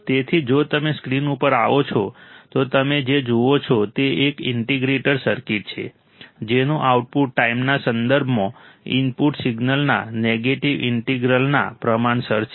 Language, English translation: Gujarati, So, if you come to the screen what you see is an integrator circuit whose output is proportional to the negative integral of the input signal with respect to time